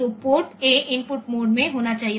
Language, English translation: Hindi, So, port A has to be in input mode